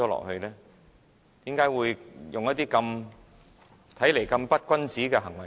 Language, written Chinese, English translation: Cantonese, 為何要採取這種看來極不君子的行為？, Why does such a seemingly dishonourable act be taken?